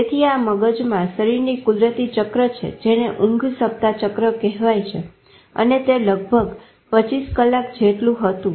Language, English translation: Gujarati, So the natural cycle of body and brain, the sleep wake cycle and all, turned out to be around 25 hours